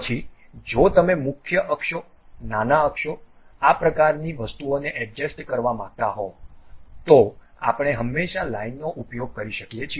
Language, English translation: Gujarati, Then, you want to adjust the major axis, minor axis these kind of thing, then we can always we can always use a Line